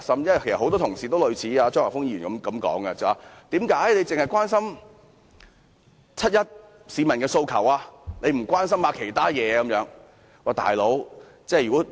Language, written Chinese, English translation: Cantonese, 其實，很多同事都有類似張議員的說法，質疑為何我只關心七一遊行市民的訴求而不關心其他事情。, Many Honourable colleagues actually made remarks similar to what Mr CHEUNG said querying why I was only concerned about the aspirations of the people participating in the 1 July march without paying attention to other issues